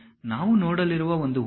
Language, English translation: Kannada, One example we are going to see